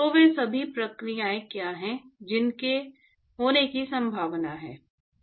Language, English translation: Hindi, So, what are all the processes which are likely to occur